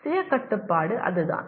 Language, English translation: Tamil, That is what self regulation is